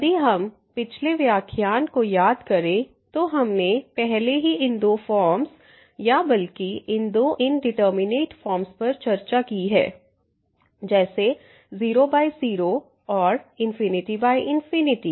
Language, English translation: Hindi, Just to recall from the previous lecture we have discussed already these two forms or rather these two indeterminate forms of the type as 0 by 0 and infinity by infinity